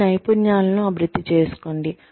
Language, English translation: Telugu, Develop your skills